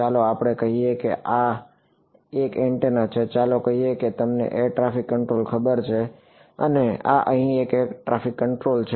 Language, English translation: Gujarati, Let us say that this is one antenna over here, let us say this is you know air traffic control and this is another air traffic control over here